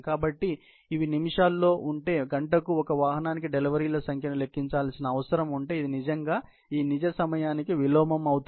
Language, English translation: Telugu, So, if these were in minutes, if the number of deliveries per vehicle per hour needs to be computed, it would really be the inverse of this real time